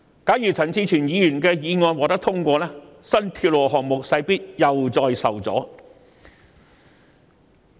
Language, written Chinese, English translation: Cantonese, 假如陳志全議員的修正案獲得通過，新鐵路項目勢必再次受阻。, The new railway projects will definitely be hampered again should Mr CHAN Chi - chuens amendment be passed